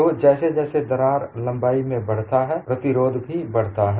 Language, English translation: Hindi, So, the resistance increases as the crack also increases in length